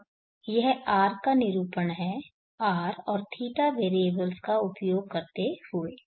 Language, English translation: Hindi, Now this is the representation of this are using the variables R and